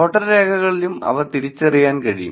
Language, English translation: Malayalam, Just in voter records also they are identifiable